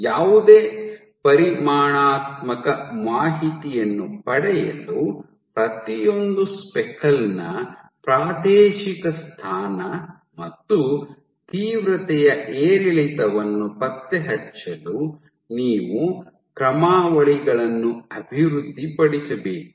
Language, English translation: Kannada, So, in order to gain any quantitative information, you need to develop algorithms to track spatial position and intensity fluctuation of each and every speckle